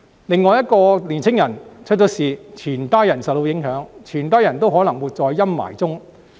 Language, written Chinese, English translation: Cantonese, 另外，一個年青人出了事，全家人都會受到影響，都可能會活在陰霾中。, Moreover when a young person has been arrested hisher whole family will be affected and all of them may then have to live under the gloom of worry